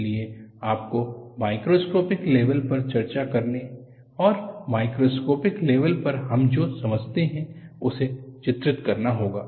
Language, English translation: Hindi, So, you have to delineate what we discuss at the microscopic level and what we understand at the macroscopic level